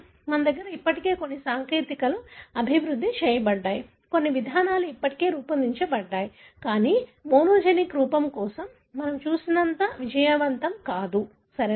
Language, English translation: Telugu, We have certain technologies already developed, we have certain approaches already devised, but it is not as successful as what we have seen for the monogenic form, right